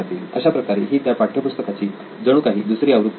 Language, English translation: Marathi, It also becomes like a second version of the textbook